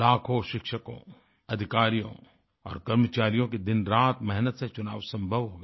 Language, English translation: Hindi, Lakhs of teachers, officers & staff strived day & night to make it possible